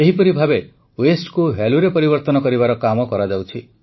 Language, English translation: Odia, In the same way, efforts of converting Waste to Value are also being attempted